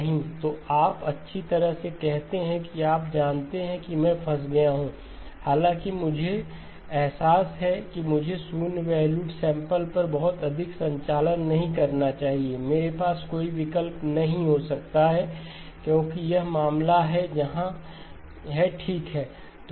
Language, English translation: Hindi, So you kind of say well you know I am stuck, though I realize that I should not be doing a lot of operations on zero valued samples, I may not have an option because this is the case where okay